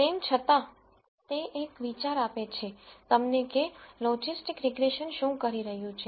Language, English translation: Gujarati, Nonetheless so, it gives you an idea of what logistic regression is doing